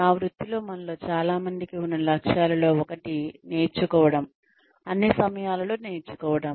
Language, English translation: Telugu, In my profession, one of the goals, that many of us have, is to learn, to keep learning all the time